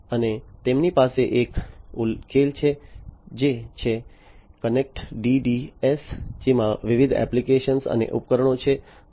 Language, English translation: Gujarati, And they have a solution which is the Connext DDS, which has different apps and devices and